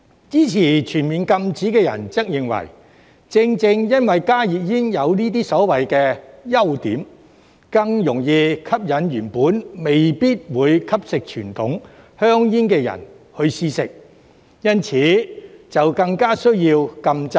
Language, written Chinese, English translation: Cantonese, 支持全面禁止的人則認為，正正因為加熱煙有這些所謂的"優點"，更容易吸引原本未必會吸食傳統香煙的人試食，因此更加需要禁制。, On the other hand proponents of a full ban argue that precisely because of these so - called advantages of HTPs they are more likely to attract people who might not otherwise consume conventional cigarettes to try them thus rendering a ban all the more necessary